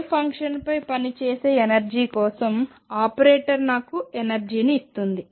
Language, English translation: Telugu, So, operator for the energy acting on the wave function gives me the energy